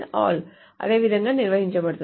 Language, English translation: Telugu, The all is defined in the same manner